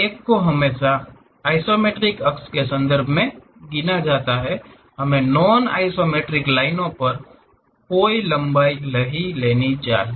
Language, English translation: Hindi, One has to count it in terms of isometric axis, we should not literally take any length on non isometric lines